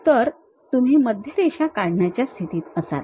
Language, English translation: Marathi, So, you will be in a position to draw a center line